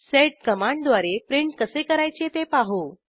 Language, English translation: Marathi, We will see how to print using the sed command